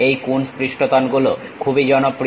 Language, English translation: Bengali, These Coons surfaces are quite popular